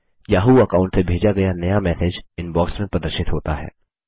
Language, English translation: Hindi, The new message sent from the yahoo account is displayed in the Inbox